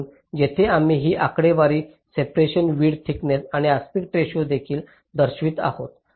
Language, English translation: Marathi, so here we show these figures: separation, width, thickness and also the aspect ratios